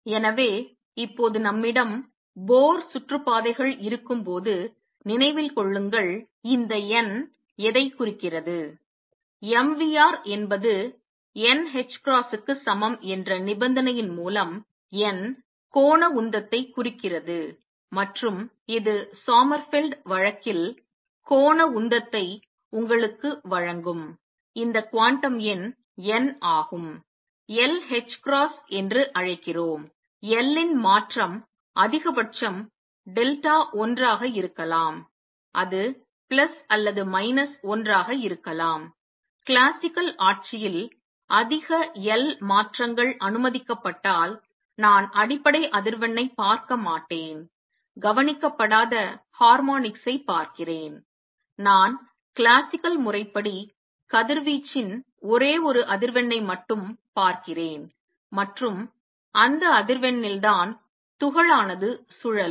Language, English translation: Tamil, And therefore now remember when we have Bohr orbits, what does this n represents; n represents the angular momentum through the condition that mvr is equal to n h cross and this implies that this n that quantum number that gives you the angular momentum which is Sommerfeld case, we called l h cross the change of l can be maximum delta l can be plus or minus 1, if higher l changes were allowed in the classical regime, I would not see the fundamental frequency out, see harmonics which are not seen what I see classically is the only one frequency of radiation and that is the frequency at which particle is rotating